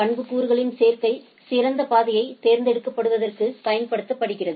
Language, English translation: Tamil, The combination of attributes are used to select the best path of the things